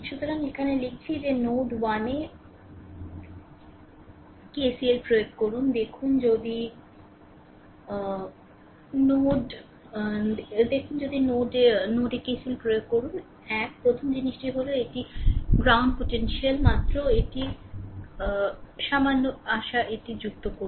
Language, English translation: Bengali, So, here we are writing that apply KCL at node 1 like look ah if you apply KCL at node 1 right first thing is this is your ground potential ah just let me add just it little bit ah hope it is ok right